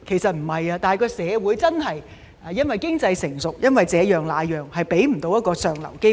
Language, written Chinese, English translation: Cantonese, 不是的，是因為社會經濟成熟和這樣那樣的理由，未能給他們一個向上流動的機會。, No but because we now have a mature economy coupled with various other reasons they are not given any opportunity of upward mobility